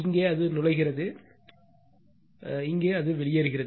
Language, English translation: Tamil, And here it is entering, it is leaving right